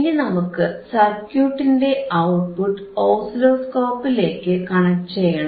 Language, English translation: Malayalam, Now, we have to connect the oscilloscope that is the output voltage of the circuit to the oscilloscope